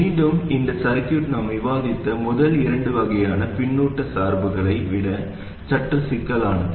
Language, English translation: Tamil, Again this circuit is slightly more complicated than the first two types of feedback biasing that we discussed